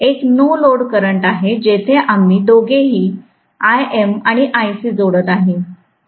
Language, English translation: Marathi, So, I naught is the no load current, where we are adding to I M and Ic, both of them